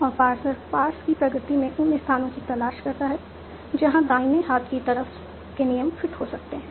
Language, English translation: Hindi, In Parsons looks for the places in the pass in progress where the right hand side of the rule might fit